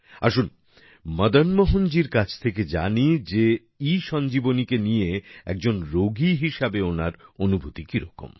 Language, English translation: Bengali, Come, let us know from Madan Mohan ji what his experience as a patient regarding ESanjeevani has been